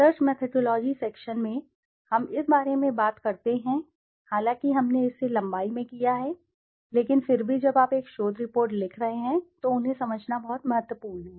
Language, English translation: Hindi, In research methodology section, we talk about, although we have done it in length but still when you are writing a research report it is very important to understand them